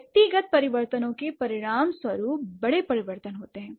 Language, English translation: Hindi, So, the individual changes result in bigger changes